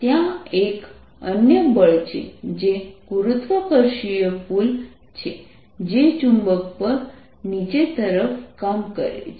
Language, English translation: Gujarati, there is another force, which is gravitational pull, acting down words on the magnet